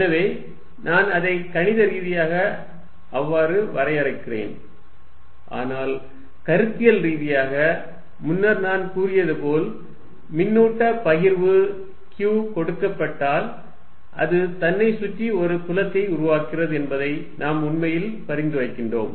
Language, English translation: Tamil, So, that is the way I am defining it mathematically, but conceptually is a advance, as I said, what we are actually suggesting is, given a charge distribution q, it is creating a field around itself